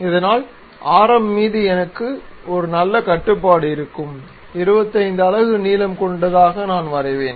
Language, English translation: Tamil, So that I will have a better control on radius 25 units of length, I will draw